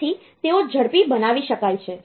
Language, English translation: Gujarati, So, they can be made faster